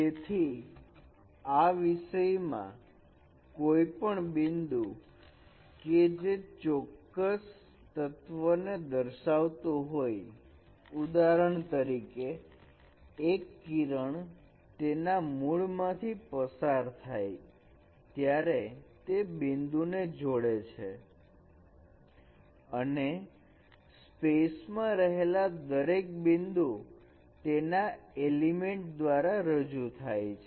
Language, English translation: Gujarati, So in this case any point that represents a particular element that is a ray passing through the origin connecting to that point and every point in this space is being represented by this element